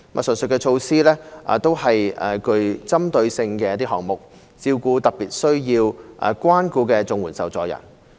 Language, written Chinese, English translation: Cantonese, 上述措施都是具針對性的項目，照顧特別需要關顧的綜援受助人。, These measures are all targeted programmes catering for CSSA recipients particularly in need